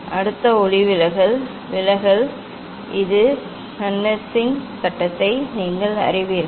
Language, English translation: Tamil, next refraction, refraction you know this Snell s law